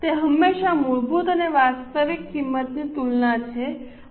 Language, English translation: Gujarati, It is always a comparison of standard and actual cost